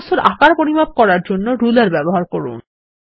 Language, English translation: Bengali, Use the ruler to measure the size of some the objects